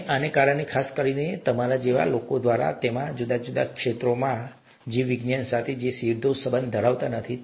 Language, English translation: Gujarati, And it is because of these, to make these possible, especially, by people like you who would be in several different fields that may not be directly related to biology as you see it